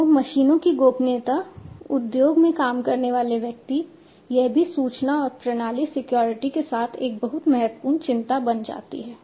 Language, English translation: Hindi, So, the privacy of the machines, privacy of the individuals working in the industry etc, this also becomes a very important concern along with information and system security